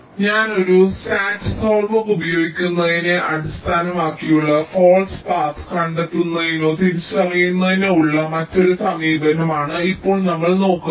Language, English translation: Malayalam, ok, so now we look at another approach to ah detecting or identifying false path that is based on using a sat solver